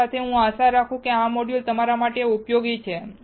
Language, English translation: Gujarati, So, with this I hope that this module is useful to you